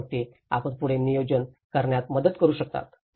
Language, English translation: Marathi, And then you can it will help you in planning further